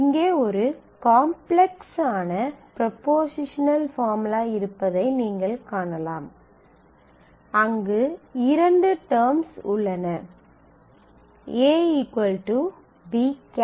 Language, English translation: Tamil, So, you can see that here we have a more complex propositional term propositional formula where there are two terms, the a should equal b and d should be greater than 5